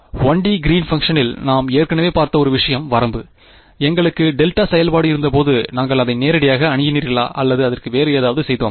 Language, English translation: Tamil, Limit is one thing we already seen in the 1 D Green’s function; when we had delta function, did we approach it directly or did we do something else to it